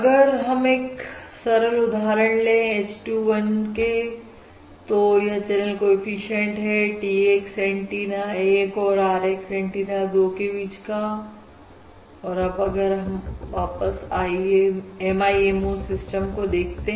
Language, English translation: Hindi, So if we take a simple example, h 2 1, this is the coefficient between T x antenna 1 and R x antenna 2